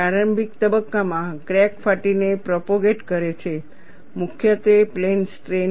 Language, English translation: Gujarati, Initial stages crack propagates by tearing, predominantly plane strain